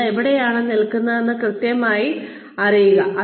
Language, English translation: Malayalam, Know exactly, where you stand